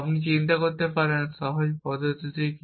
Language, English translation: Bengali, What is the simplest approach you can think